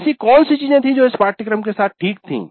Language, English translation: Hindi, What was the things which are okay with the course